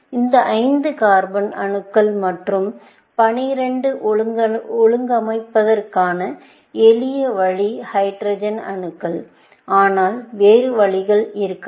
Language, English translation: Tamil, A simple way of organizing this 5 carbon atoms and 12 hydrogen atoms, but there could be other options, essentially